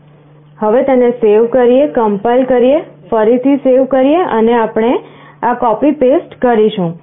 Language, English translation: Gujarati, Let us save it, compile it again and we save this, copy, paste